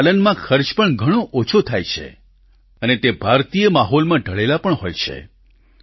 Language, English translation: Gujarati, They cost less to raise and are better adapted to the Indian environment and surroundings